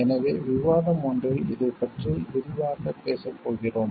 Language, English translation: Tamil, So, in one of the discussions, we are going to discuss in details about this